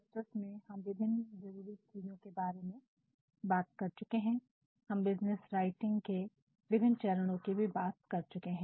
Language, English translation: Hindi, In the previous lecture we talked about the various requirements, we also talked about the various phases of business writing